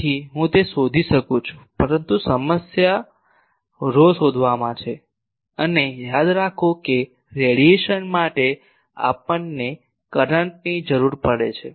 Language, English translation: Gujarati, So, I can find it, but the problem is finding rho and remember that for radiation we require a current